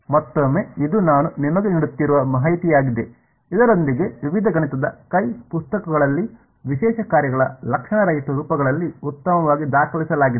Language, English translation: Kannada, Again this is just information I am giving you, with this is very very well documented in various mathematical hand books asymptotic forms of special functions